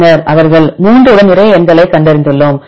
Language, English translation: Tamil, Then we look into this one they have found lot of numbers with 3